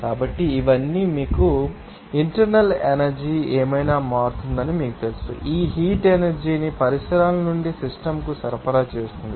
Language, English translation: Telugu, So, all these you know that whatever internal energy will be changed by, you know, supplying that heat energy from the surroundings to the system